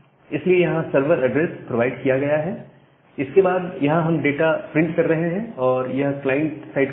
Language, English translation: Hindi, So, here the server address is being provided, so that is and then we are printing the data here, so that is the client side code